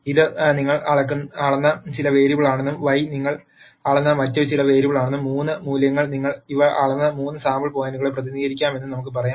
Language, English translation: Malayalam, Let us say this is some variable that you have measured and Y is some other variable you have measured and the 3 values could represent the 3 sampling points at which you measured these